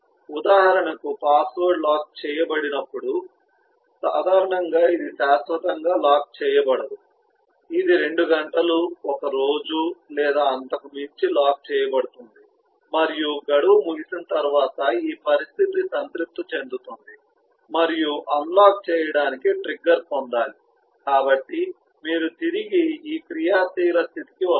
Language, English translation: Telugu, for example, when the password is locked, typically it will not be locked eternally, it will be locked for couple of hours, for a day or so, and beyond the expiry of that eh, this condition gets satisfied and need to get trigger to unlock so you come back to the active state